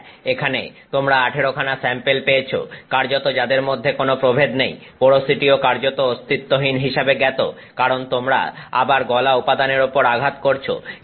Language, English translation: Bengali, Yes, you have got 18 samples here with virtually no variation between samples, porosity is also known a virtually non existent because again you are hitting molten material on top of molten material